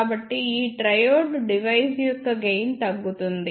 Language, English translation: Telugu, So, the gain of this device triode will decrease